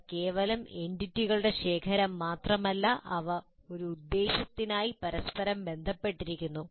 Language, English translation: Malayalam, And they're not mere collection of entities, but they're interrelated for a purpose